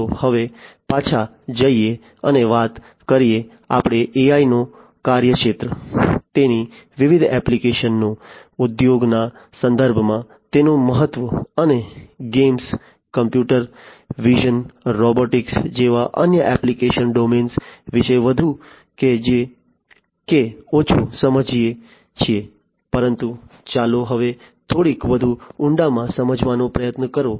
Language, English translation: Gujarati, Let us now go back and talk about, we have understood more or less the scope of AI, the different applications of it, its importance in the context of industries and different other application domains like games, computer vision, robotics, etcetera, but let us now try to understand in little bit further depth